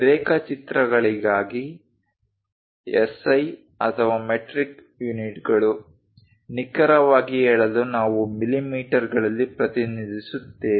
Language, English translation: Kannada, For drawings, SI or metric units precisely speaking millimeters we represent